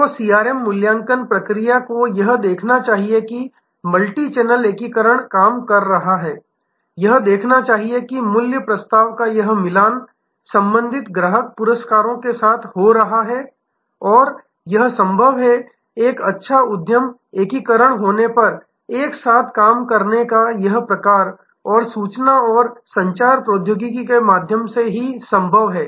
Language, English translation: Hindi, So, the CRM assessment process should see that this multichannel integration is working it should see that this matching of the value proposition is happening with respective customer rewards and this is possible, this sort of systemic working together is possible when you have a good enterprise integration through information and communication technology